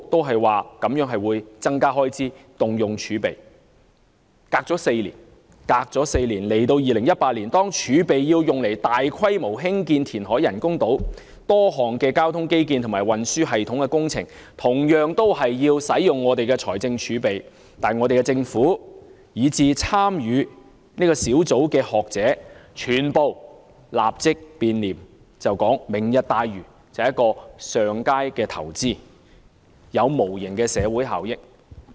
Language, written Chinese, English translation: Cantonese, 事隔4年，在現今2018年，當政府表示要動用財政儲備來進行大規模填海以興建人工島，涉及多項交通基建和運輸系統工程等，同樣會消耗財政儲備，但香港政府，以至參與小組的學者，全部立即變臉，改口指"明日大嶼"是上佳的投資，有無形的社會效益。, After four years in 2018 when the Government indicated its intention of using our fiscal reserves for land reclamation on a large scale for the construction of artificial islands which will involve a number of transport infrastructure and system projects and will be equally a drain on the public coffers the Hong Kong Government and member scholars of the Working Group have a sudden change of attitude and said instead that Lantau Tomorrow is a smart investment that will generate intangible social benefits